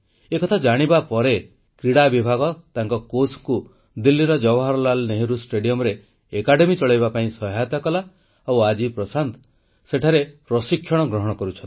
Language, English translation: Odia, After knowing this amazing fact, the Sports Department helped his coach to run the academy at Jawaharlal Nehru Stadium, Delhi and today Prashant is being coached there